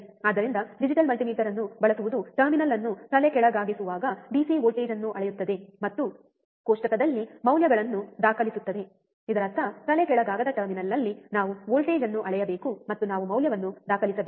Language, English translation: Kannada, So, what is that use a digital multimeter measure the DC voltage at inverting terminal and record the values in the table; that means, that we have to measure the voltage at inverting terminal, and we have to record the value